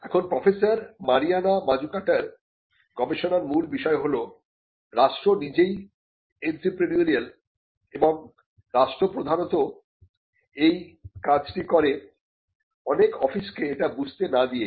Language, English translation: Bengali, Now, the theme of professor Mariana Mazzucatos research is that the state itself is an entrepreneurial state and the state predominantly does this function without many offices realizing it